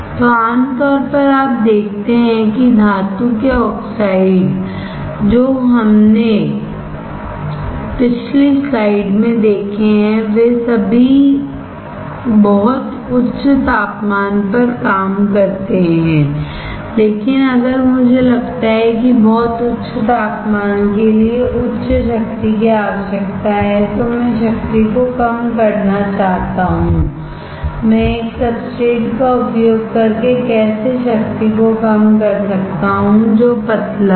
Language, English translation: Hindi, So, generally you see that metal oxides that we have seen in last slide they all operate at very high temperature, but if I that very high temperature requires high power I want to reduce the power; how can I reduce the power, by using a substrate which is thin